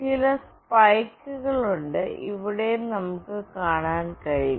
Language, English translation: Malayalam, There are certain spikes as well we can see here and here